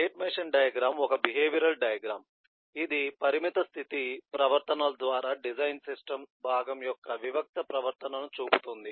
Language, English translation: Telugu, this is a specialization of the behavior and is used to specify the discrete behavior of a part of the design system through finite state transitions